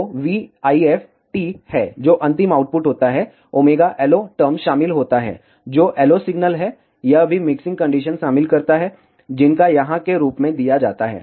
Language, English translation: Hindi, So, the v IF of t, which is the final output contains the omega LO term, which is the LO signal, it also contains mixing terms, which are given as here